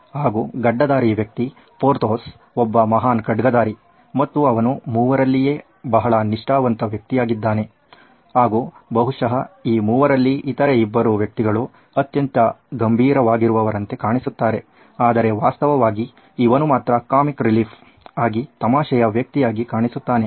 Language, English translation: Kannada, So, Porthos your bearded guy he was a great swordsman, he was fiercely dedicated to the Three Musketeers, a very loyal guy, often seen as the comic relief among these 3, the other 2 were probably serious Although the Lego block actually shows him to be the most serious but actually he is the funniest guy